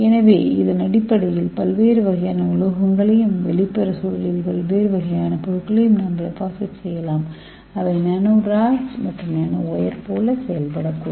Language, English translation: Tamil, So based on that we can deposit various type of metals inside and another kind of material on the exterior environment so it can act like a kind of nano tubes and nano wire